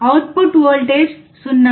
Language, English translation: Telugu, output voltage is 0